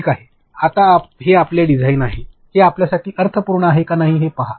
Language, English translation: Marathi, Now, this is your design, see if this make sense to you